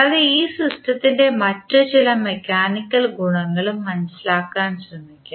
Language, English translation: Malayalam, We continue our discussion and we will try to understand some other mechanical properties of this system